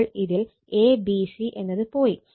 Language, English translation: Malayalam, So, in this is a c and a c b sequence right